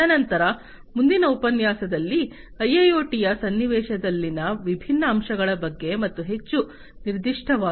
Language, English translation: Kannada, And thereafter, in the next lecture about you know the different aspects in the context of IIoT as well more specifically